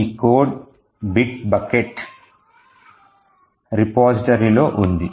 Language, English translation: Telugu, So, this code is present in the bit bucket repository